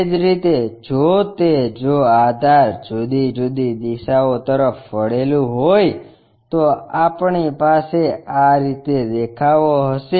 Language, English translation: Gujarati, Similarly, if it is if the base is inclined at different directions, we will have a view in this way